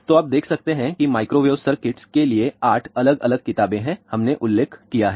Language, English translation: Hindi, So, you can see that for the microwave circuits there are 8 different books, we have mentioned